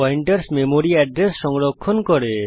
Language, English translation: Bengali, Pointers store the memory address